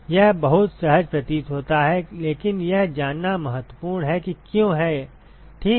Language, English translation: Hindi, It appears very intuitive, but is important to know why ok